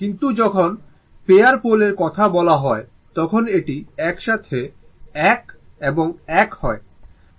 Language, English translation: Bengali, But when you are talking about pair of poles, it is 1 and 1 together